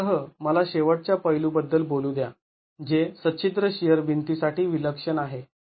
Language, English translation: Marathi, With that let me talk of one last aspect which is peculiar to perforated shear walls